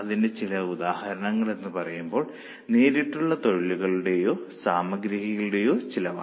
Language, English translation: Malayalam, So, some of the examples of them are cost of direct labour or direct material